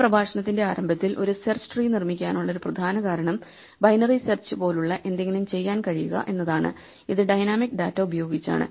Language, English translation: Malayalam, As we mentioned that the beginning of this lecture, one of the main reasons to construct a search tree is to be able to do something like binary search and this is with dynamic data